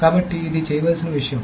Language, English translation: Telugu, So this is the thing that to be done